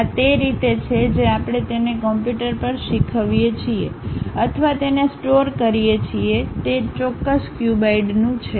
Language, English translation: Gujarati, That is the way we teach it to the computer or store it to say that it is of that particular cuboid